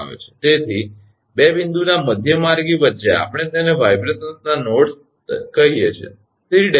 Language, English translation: Gujarati, So, midway between 2 point we call it nodes of the vibrations right